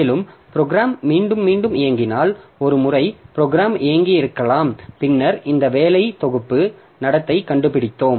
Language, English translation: Tamil, And this is particularly useful like if the program is run repetitively, like maybe we have run the program once and then we have found out this working set behavior